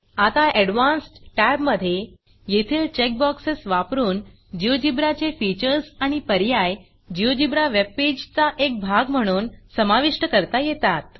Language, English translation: Marathi, Now to the Advanced Tab There are a number of check boxes that add features and options of GeoGebra to include as part of the GeoGebra page